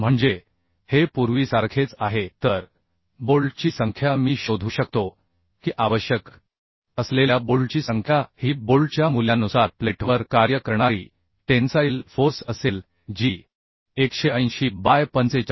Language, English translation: Marathi, 3 kilonewton that means this is same as earlier So number of bolt I can find out number of bolt required will be the Tu the tensile force acting on the plate by bolt value that is 180 by 45